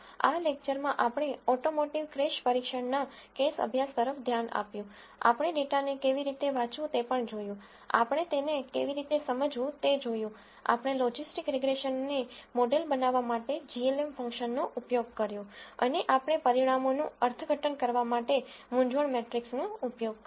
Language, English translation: Gujarati, In this lecture we looked at the case study of automotive crash testing we also saw how to read the data, we saw how to understand it, we used glm function to model logistic regression and we looked at using confusion matrix to interpret the results